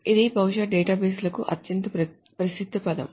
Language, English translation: Telugu, So, is probably the most famous term for databases